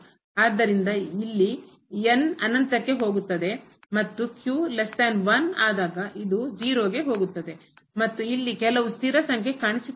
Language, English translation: Kannada, So, this goes to infinity this here it goes to infinity and is less than 1 then this goes to 0 and here some fixed number is appearing